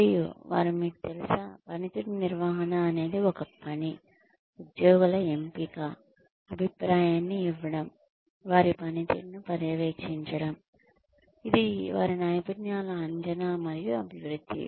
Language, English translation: Telugu, And, they said that, it is you know, performance management is a function of, selection of the employees, of giving feedback, of monitoring their performance, which is appraisal and development of their skills